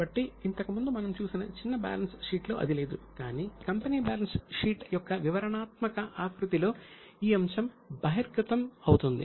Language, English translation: Telugu, So, in that earlier short balance sheet it was not there but in a company balance sheet in a detailed format, this item is bound to be disclosed